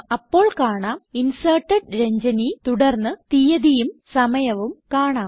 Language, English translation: Malayalam, You will see the message Inserted Ranjani: followed by date and time of insertion